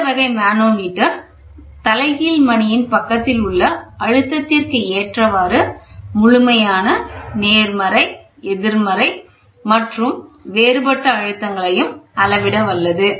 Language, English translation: Tamil, This type of manometer is capable of measuring absolute positive, negative and the differential pressures depending on the pressure of the reference side of the bell